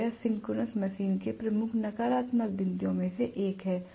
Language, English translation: Hindi, So this is one of the greatest advantages of the synchronous machine